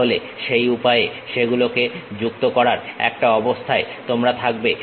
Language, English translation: Bengali, Then you will be in a position to really join that by in that way